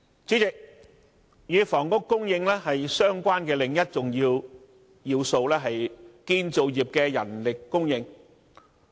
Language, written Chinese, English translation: Cantonese, 主席，與房屋供應相關的另一要素是建造業的人力供應。, President another important element relating to housing supply is manpower supply in the construction industry